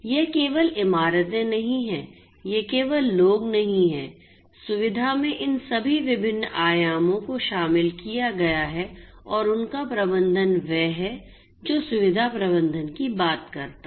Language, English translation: Hindi, So, all of these will have to be managed it is not merely buildings; it is not merely people facility includes all of these different dimensions and their management is what facility management talks about